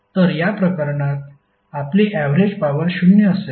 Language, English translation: Marathi, So in this case your average power would be 0